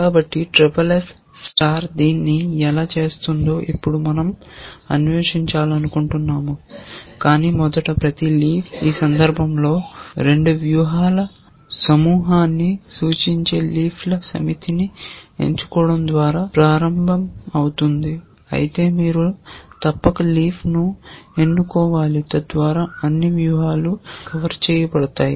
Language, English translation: Telugu, So, we want to now explore how SSS star will do it, but first it starts off by selecting a set of leaves where each leaf represents a cluster of 2 strategies in this case, but you must select the leaves so, that all strategies are covered